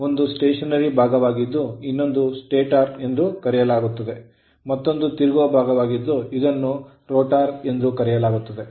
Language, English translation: Kannada, 1 is stationeries part that is called stator another is rotating part or revolving part, we call it as rotor right